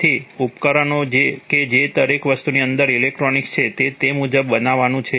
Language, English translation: Gujarati, So the devices themselves that is the electronics inside everything is to be made according to that